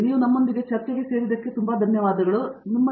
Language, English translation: Kannada, Thank you very much for joining us, it was a pleasure